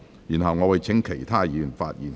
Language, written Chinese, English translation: Cantonese, 然後，我會請其他委員發言。, Then I will call upon other Members to speak